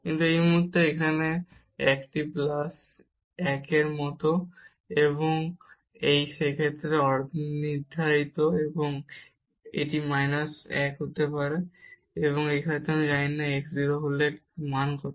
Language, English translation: Bengali, But at this point here this is like plus 1, and this is undetermined in that case and this is can be minus 1 also and here we do not know what is the value when x goes to 0